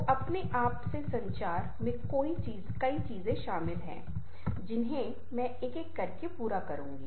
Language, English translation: Hindi, so communication with ourselves includes many things, which i shall take up one by one